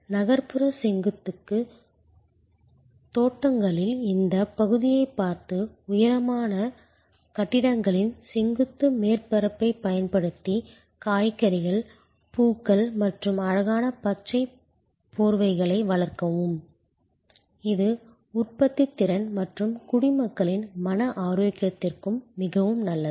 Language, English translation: Tamil, And the decided to look at this area of urban, vertical gardens using the vertical surface of tall high rise buildings to grow vegetables, flowers and beautiful green cover which is productive as well as very good for mental health of citizens